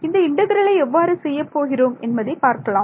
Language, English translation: Tamil, So, how would we do this integral